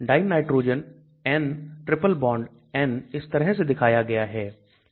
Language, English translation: Hindi, Dinitrogen , N triple bone N is shown like this